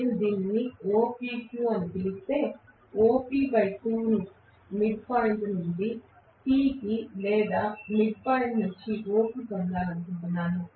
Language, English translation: Telugu, If I may call this as OPQ I want to get what is OP by 2 from the midpoint to P or midpoint to O